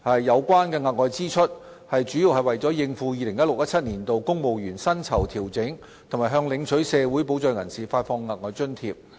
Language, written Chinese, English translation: Cantonese, 有關的額外支出，主要是為了應付 2016-2017 年度公務員薪酬調整及向領取社會保障人士發放額外津貼。, The excess expenditure was mainly for meeting additional expenses arising from the 2016 - 2017 civil service pay adjustment and provision of extra allowances to social security recipients